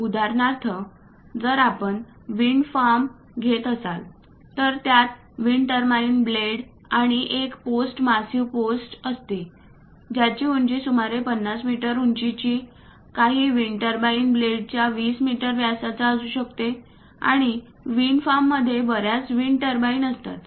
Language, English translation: Marathi, For example, if we are taking a wind farm, it contains wind turbine blades and a post massive post which might be some 50 meters height, some 20 meters diameter of these wind turbine blades, and a wind farm consists of many wind turbines